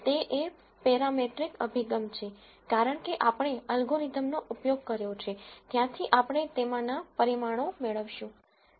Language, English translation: Gujarati, It is also a parametric approach since at the end of the application of the algorithm we are going to get parameters out of it